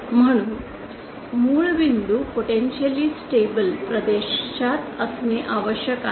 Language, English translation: Marathi, Hence the origin point must lie in the potentially unstable region